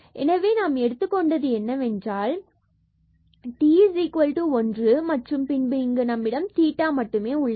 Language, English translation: Tamil, So, we have taken the t is equal to one and then we get here just only theta